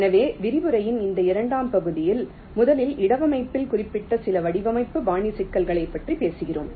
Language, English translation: Tamil, so in this second part of the lecture, first we talked about some of the design style specific issues in placement